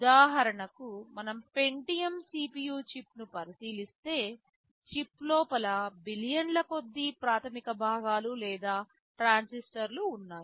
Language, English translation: Telugu, For example, if we look at the Pentium CPU chip there are close to billions of basic components or transistors inside the chip